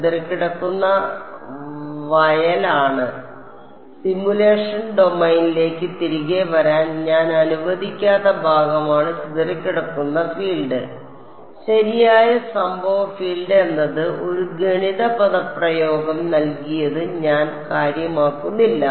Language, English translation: Malayalam, The scattered field is; the scattered field is the part I should not allow to come back in to the simulation domain right incident field I do not care about its given by a mathematical expression